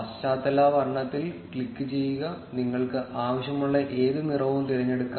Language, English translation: Malayalam, Click on the background color and you can choose any color, which you want